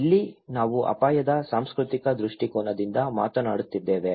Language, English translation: Kannada, Here, we are talking from the cultural perspective of risk